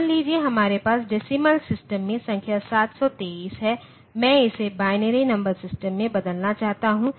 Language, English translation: Hindi, Suppose, we have the number say 723 in the decimal system and I want to convert it into say binary number system